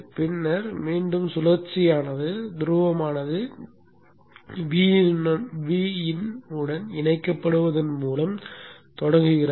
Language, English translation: Tamil, And then again the cycle begins by the pole getting connected to V In